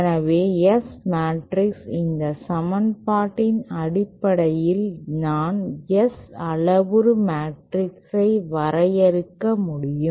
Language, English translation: Tamil, So then S matrix is defined like this in terms of this equation I can define my S parameter matrix as